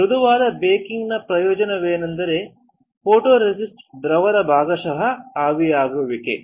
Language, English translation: Kannada, The advantage of soft baking is that there is a partial evaporation of photoresist solvent